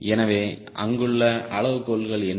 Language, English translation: Tamil, so what are the criteria